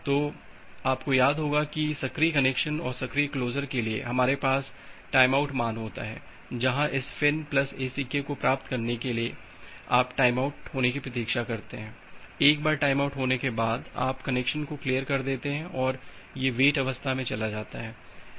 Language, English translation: Hindi, So, you remember that for the active connection, active closure we have this time out value, where after receiving this FIN plus ACK you wait for a timeout value once the time out happens then you clear the connection, so it moves to this time wait state